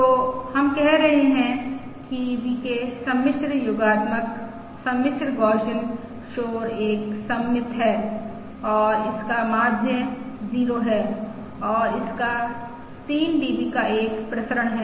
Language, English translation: Hindi, alright, So VK, we are saying, is complex, ah, additive, complex Gaussian noise, is a symmetric and has a 0 mean and it has a variance of 3 DB